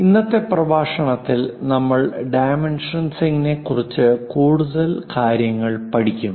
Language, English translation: Malayalam, In today's class we have learnt about these special dimensions for dimensioning of objects